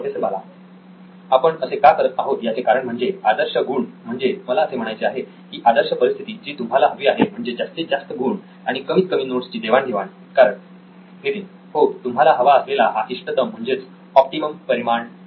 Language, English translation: Marathi, Why we are doing this is that the ideal scores, I mean the ideal situation that you want to be in is that you want the high scores and lowest number of notes shared because